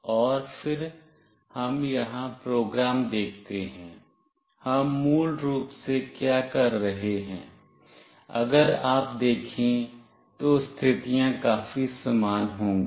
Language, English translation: Hindi, And then let us see the program here, what we are doing basically that the conditions would be pretty same, if you see one